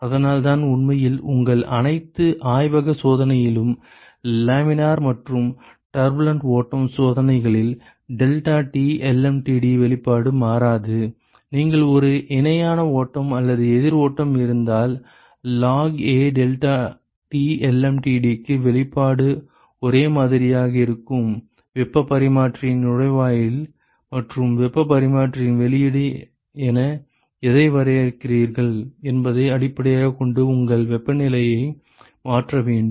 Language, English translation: Tamil, So, that is why in fact in all your lab experiments the laminar and turbulent flow experiments the deltaT lmtd the expression does not change, whether you had a parallel flow or a counter flow the expression for the log a delta T lmtd is the same except that you have to replace your temperatures based on, what you define as inlet to the heat exchanger and what you define as outlet of the heat exchanger